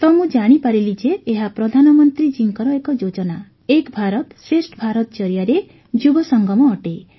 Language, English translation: Odia, So I came to know that this is a coming together of the youth through Prime Minister's scheme 'Ek Bharat Shreshtha Bharat'